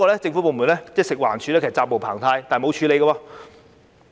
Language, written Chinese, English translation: Cantonese, 政府部門，即食物環境衞生署，責無旁貸，但卻沒有處理。, Government department namely the Food and Environmental Hygiene Department is obliged to take action but has turned a blind eye to it